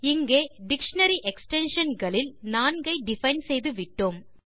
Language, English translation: Tamil, Here, we have defined four entries in the dictionary extensions